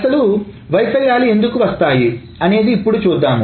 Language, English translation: Telugu, And we will see why these failures can happen